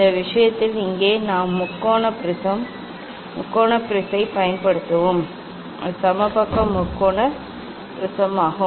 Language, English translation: Tamil, in this case here we will use the triangular prism triangular prism and it is equilateral triangular prism